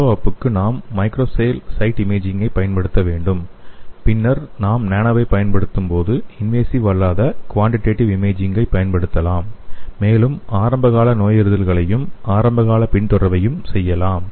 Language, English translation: Tamil, And again for follow up we have to use the macro scale site imaging and here then when you use the nano we can use the non invasive quantitative imaging and we can also do the early diagnosis and the early follow up